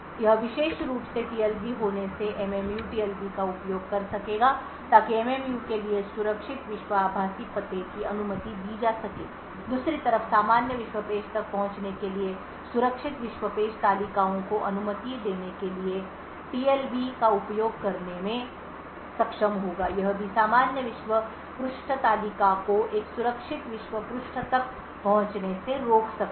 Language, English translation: Hindi, By having this particular TLB The MMU would be able to use the TLB to allow secure world virtual address for MMU would be able to use the TLB to permit a secure world page tables to access normal world page on the other hand it can also prevent a normal world page table from accessing a secure world page